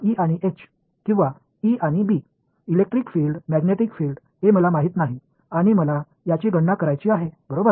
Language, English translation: Marathi, E and H or E and B, electric field magnetic field this is what I do not know and I want to calculate right